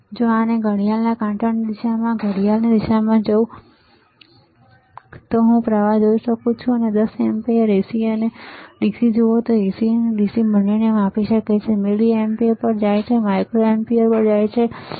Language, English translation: Gujarati, And if I go in a clockwise direction, clockwise then I can see current you see 10 amperes AC and DC it can measure both AC and DC go to milliampere, go to micro ampere, right